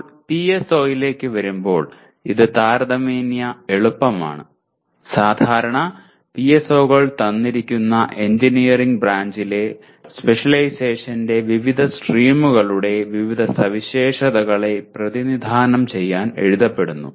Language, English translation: Malayalam, Now coming to the PSO, this is relatively easy when normally PSOs are written to represent various features of a, what do you call various streams of specialization in a given branch of engineering